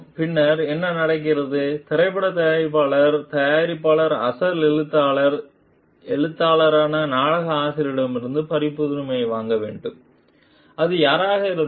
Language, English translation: Tamil, And then what happens the movie maker the producer has to buy the copyright from the original author the writer the playwright whoever it is